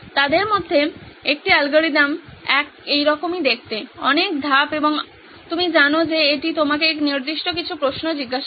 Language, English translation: Bengali, One of the algorithm looks like this, so many steps and you know it asks you certain questions